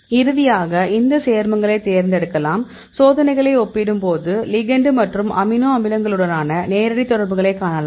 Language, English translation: Tamil, Finally, you can select these compounds; so, when we compare the experiments you can see the direct interaction between the ligand as well as with the amino acids